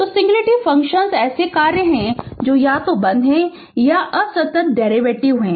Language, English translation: Hindi, So, singularity function are function that either are discontinuous or have discontinuous derivatives right